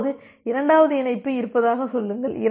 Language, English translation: Tamil, Now, say there is a second connection